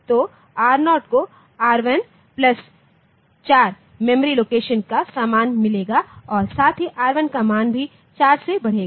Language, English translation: Hindi, So, R0 gets content of memory location R1 plus 4